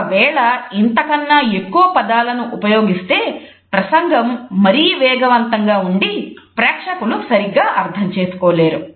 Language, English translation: Telugu, We speak more words than this then the speech would become too fast and the audience would not be able to comprehend properly